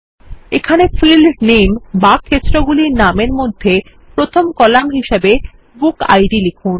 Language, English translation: Bengali, Here, type BookId as the first column under Field Name